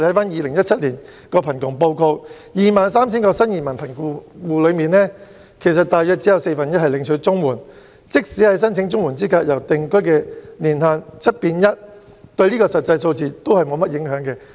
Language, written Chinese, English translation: Cantonese, 《2017年香港貧窮情況報告》指出，在 23,000 名新移民貧窮戶之中，大約只有四分之一領取綜援，即使申請綜援資格的定居年限由 "7 變 1"， 對實際數字也沒有甚麼影響。, The Hong Kong Poverty Situation Report 2017 indicates that only about a quarter of the 23 000 poor new - arrival households receive CSSA . And even if we change CSSAs minimum residence requirement from seven years to one year it makes little impact on the actual figure